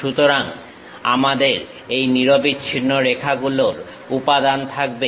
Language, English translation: Bengali, So, we have this continuous lines material